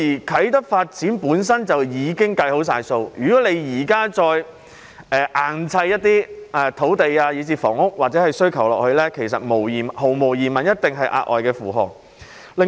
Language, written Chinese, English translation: Cantonese, 啟德發展本身已經作好計劃，如果現時硬要再額外加上一些土地以至房屋需求，這些毫無疑問一定是額外的負荷。, The Kai Tak development is already well planned . If it is now forced to bear additional demands for land and housing these will undoubtedly pose an extra loading